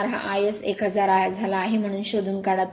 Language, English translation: Marathi, 04 this is 1000, so you have to find out